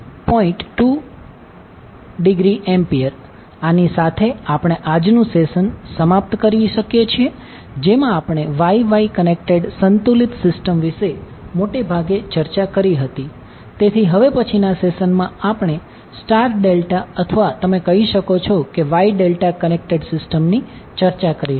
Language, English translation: Gujarati, 2 degree, so with we can close our today’s session in which we discussed mostly about the Y Y connected balanced system, so in next session we will discuss about star delta or you can say Y delta connected system thank you